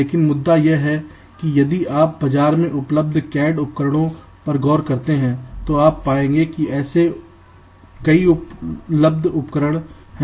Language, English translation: Hindi, but the issue is that if you look in to the available cad tools that there in the market, we will find that there are many such available tools